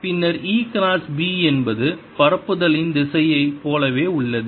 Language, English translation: Tamil, then e cross b is has the same direction as direction of propagation